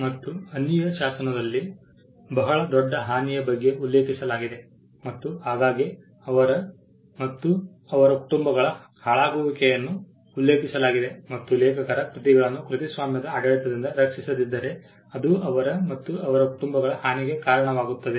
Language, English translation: Kannada, And it was mentioned in the statute of Anne very great detriment and too often to the ruin of them and their families stating that if copyright is not protected if the stating that if the works of authors are not protected by regime, it would lead to the detriment of them and their families